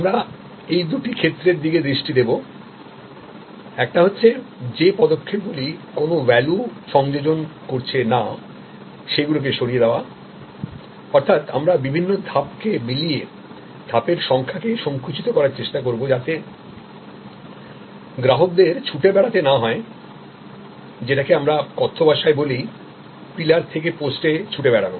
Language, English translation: Bengali, We focus on these two areas, one is eliminating a non value adding steps; that means, we try to collapse different stages, so that the customer does not have to run from what we colloquially call pillar to post